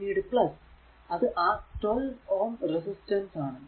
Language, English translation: Malayalam, There is a this is a 12 ohm ah resistance here